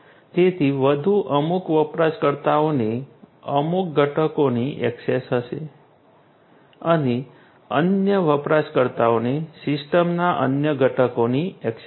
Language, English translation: Gujarati, Certain users are going to have access to certain components other users are going to have access to the other components of the system and so on